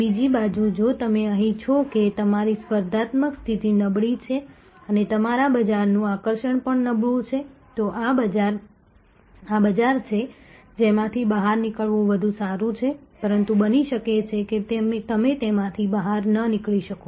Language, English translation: Gujarati, On the other hand, if you are here that your competitive position is rather week and your market attractiveness is also weak this is a market, which is better to get out of, but may be you cannot get out of it